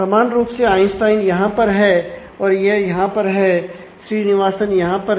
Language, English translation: Hindi, Similarly, Einstein happens here and it happens here Srinivasan happens here in